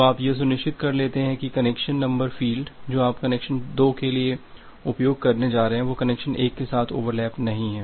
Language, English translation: Hindi, So, that you became sure that well the sequence number field that you are going to use for connection 2 that does not have a overlap with connection 1